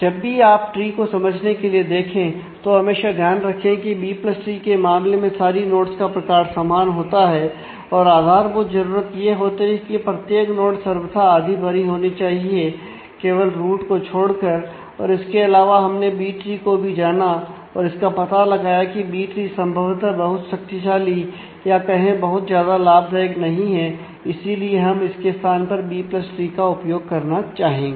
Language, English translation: Hindi, When you refer to 2 3 4 tree for understanding also always keep in mind that in case of B + tree all node types are same and the basic requirement is every node must be at least half full all the time except of course, for the root and in addition we have also familiarized with B tree and reason that B tree possibly is not a very powerful is not powerful enough it does not give enough advantages so, that to we would like to use it in place of B + tree